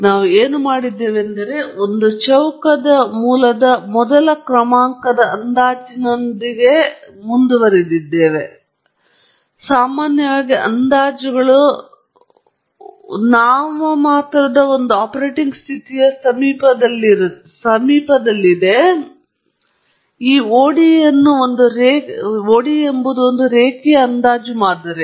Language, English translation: Kannada, So, what we have done is, we have approximated with a first order approximation of the square root, and whenever we approximate, typically approximations are within the vicinity of an operating condition of a nominal point, and therefore, we rewrite this ODE as a linear approximate model